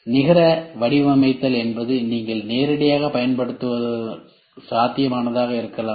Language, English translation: Tamil, Net shaping is you can use it directly may be feasible